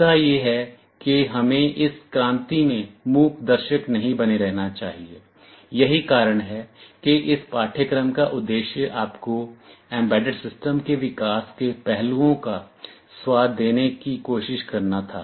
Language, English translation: Hindi, The point is that we should not remain silent spectators in this revolution, that is why the objective of this course was to try and give you a flavour of the developmental aspects of embedded system